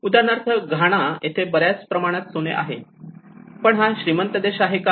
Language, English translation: Marathi, Like for instance in Ghana, which has much of gold resource, but is it a rich country